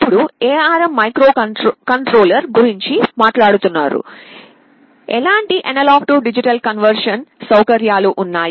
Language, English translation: Telugu, Now, talking about the ARM microcontrollers, what kind of A/D conversion facilities are there